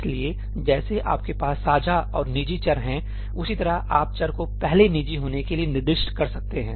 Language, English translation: Hindi, So, just like you have shared and private , similarly you can specify variable to be first private